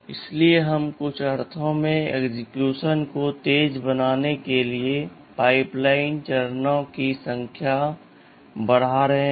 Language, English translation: Hindi, So, we are enhancing the number of stages in the pipeline to make the execution faster in some sense